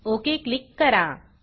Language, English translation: Marathi, and Click OK